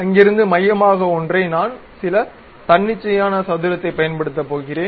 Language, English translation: Tamil, From there centered one I am going to use some arbitrary square